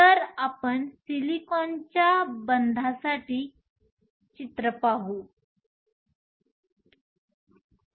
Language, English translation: Marathi, So, let us look at picture for bonding for silicon